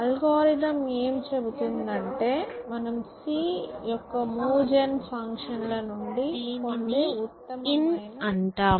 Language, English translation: Telugu, And algorithm essentially says that, if the best node that you get from move gen of c, which is basically in